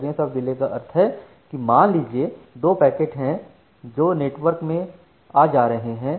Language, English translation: Hindi, So, variance of delay means assume there are two packets, which are coming from the or which are going through the network